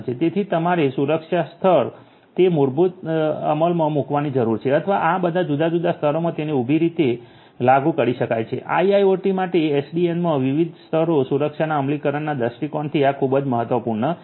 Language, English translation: Gujarati, So, you need to have a security layer basically implemented or it can be implemented vertically across all these different layers this is very important from the point of view of implementation of security either horizontally or vertically across the different layers of SDN for IIoT